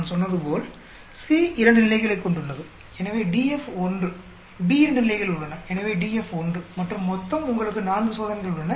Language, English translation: Tamil, As I said, C has two levels, so DF is 1, B has two levels, so DF is 1 and the total you have 4 experiments